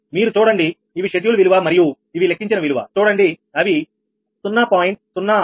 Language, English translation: Telugu, you have to see these are the schedule value and these are calculated value